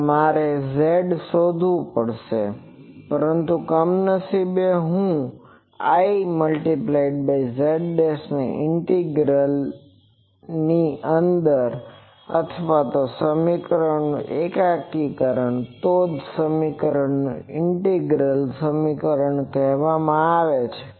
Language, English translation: Gujarati, So, I will have to find I z dashed, but unfortunately I z dashed is under or it is an integrand of this equation that is why these equations are called integral equations